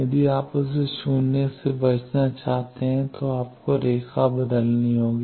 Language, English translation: Hindi, If you want to avoid that minus j, you will have to change the line